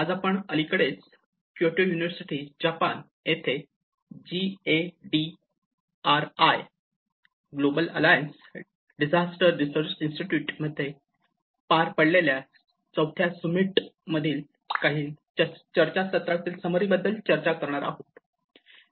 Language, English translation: Marathi, Today, we are going to discuss about some of the summary of the discussions which happened in the GADRI, Global Alliance of Disaster Research Institutes, the fourth summit which just recently happened in Kyoto University in Japan